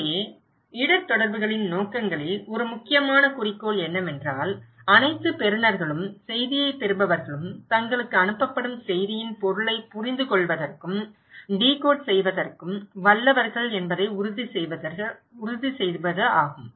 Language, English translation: Tamil, So, in case of objectives of the risk communication; one of the critical objective is to make sure that all receivers, all receivers of the message are able and capable of understanding and decoding the meaning of message sent to them